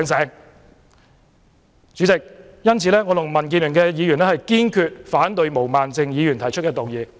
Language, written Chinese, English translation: Cantonese, 因此，代理主席，我及民建聯的議員堅決反對毛孟靜議員動議的議案。, For this reason Deputy President I and other Members of the Democratic Alliance for the Betterment and Progress of Hong Kong firmly oppose the motion moved by Ms Claudia MO